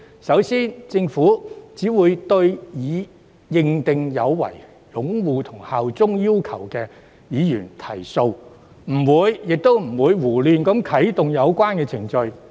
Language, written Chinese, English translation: Cantonese, 首先，政府只會對已被依法認定有違擁護《基本法》和效忠特區要求的議員提訴，不會胡亂啟動有關程序。, First the Government will only bring legal proceedings against Members who have been decided in accordance with law to have failed to uphold the Basic Law and bear allegiance to HKSAR . It will not arbitrarily initiate the relevant proceedings